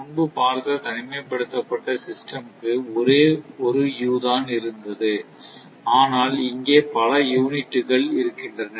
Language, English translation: Tamil, So, earlier we have seen for isolated case only one u was there, but you have you have so many units are there are so many units are there